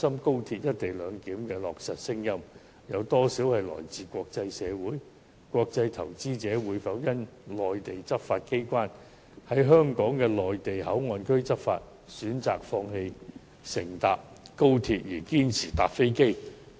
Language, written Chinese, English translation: Cantonese, 國際投資者無論如何都會投向中國大陸，會否因為內地執法機關在香港的內地口岸區內執法，就選擇放棄乘坐高鐵，堅持乘坐飛機？, Will international investors who will flock to Mainland China one way or another insist on choosing a ride on a plane over XRL simply because the Mainland law enforcement agencies enforce their laws in the Mainland Port Area of Hong Kong?